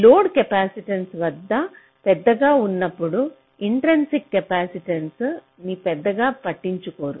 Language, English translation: Telugu, so when the load capacitance is large, so this intrinsic capacitance will not matter much